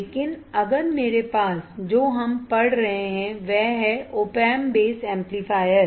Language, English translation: Hindi, But if I have what we are studying is op amp base amplifier